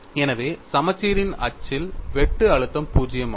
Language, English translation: Tamil, So, on the axis of symmetry, shear stress is 0